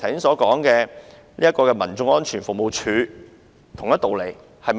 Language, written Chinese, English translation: Cantonese, 這跟剛才我所說的民眾安全服務處是同一道理的。, This is the same as the case of CAS that I have just mentioned